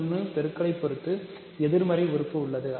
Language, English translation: Tamil, So, minus 1 has a multiplicative inverse